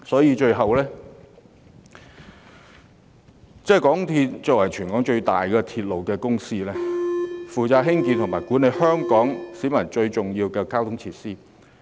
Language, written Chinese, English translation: Cantonese, 因此，港鐵公司是香港的鐵路公司，負責興建、營運和管理對市民而言最重要的交通設施。, Hence MTRCL is a Hong Kong railway company responsible for the construction operation and management of transport facilities crucial to members of the public